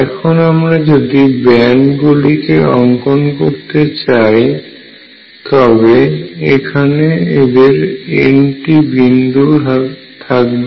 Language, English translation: Bengali, So, if I now plot the band, there are these n points